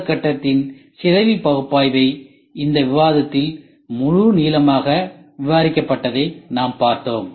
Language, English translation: Tamil, We saw decomposition analysis that is phase I that will be covered in full length in this discussion